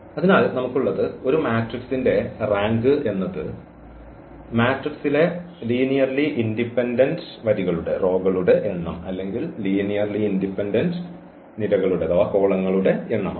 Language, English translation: Malayalam, So, what we have, we can now give another definition the rank of a matrix is the number of linearly independent rows or number of linearly independent columns in a matrix that is the rank